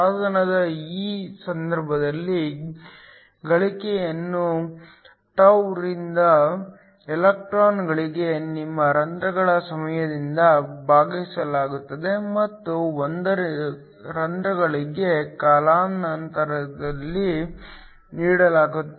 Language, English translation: Kannada, In this case of a device, the gain is given by τ divided by the time for your holes for the electrons and 1 over time for the holes